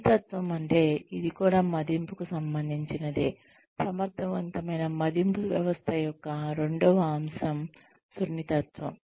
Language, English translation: Telugu, Sensitivity is the, one is of course relevance, the second aspect or requirement, of an effective appraisal system, is sensitivity